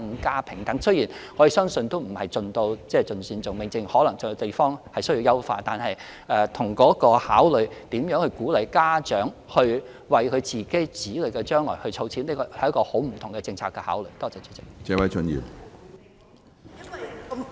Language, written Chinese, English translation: Cantonese, 儘管我們相信不可能做到盡善盡美，或許有些地方仍須優化，但這與如何鼓勵家長為子女的將來儲蓄，是相當不同的政策考慮。, While we believe it is impossible to make it perfect and there may still be some areas which require improvement this involves rather different policy considerations as compared with how to encourage parents to make savings for their childrens future